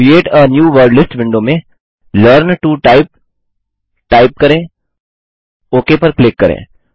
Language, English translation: Hindi, In the Create a New Wordlist window, let us type Learn to Type